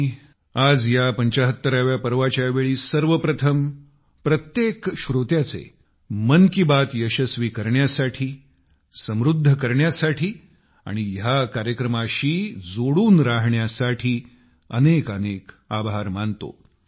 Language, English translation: Marathi, During this 75th episode, at the outset, I express my heartfelt thanks to each and every listener of Mann ki Baat for making it a success, enriching it and staying connected